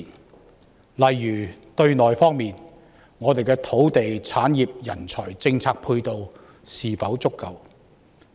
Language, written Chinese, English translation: Cantonese, 舉例說，對內，我們的土地、產業、人才及政策配套是否足夠？, For example internally are there adequate complementary measures in terms of land industry talent and policies?